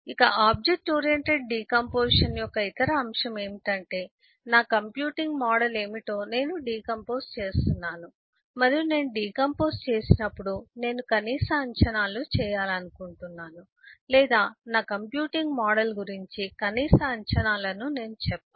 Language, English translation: Telugu, So the other aspect of object orientation, decomposition, is also to keep in mind that I decompose what is my computing model, and when I decompose I want to make minimum assumption, or rather I should say a minimal assumption about my computing model